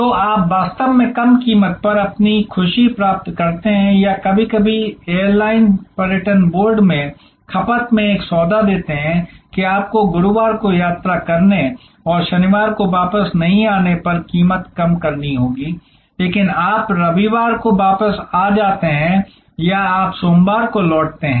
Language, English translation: Hindi, So, you actually get your happiness at a lower price or sometimes airlines give a deal in consumption in the tourism board, that the, you will have to lower price if you travel on Thursday and do not return on Saturday, but you return on Sunday or you return on Monday